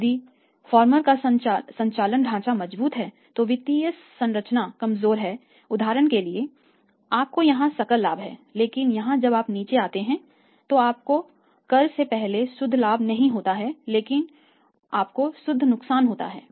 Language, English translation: Hindi, If operating structure of the firmer strong I am saying and the financial structures weak for example you have a gross profit here but here while you come down you do not have the net profit before tax but you have say by net loss right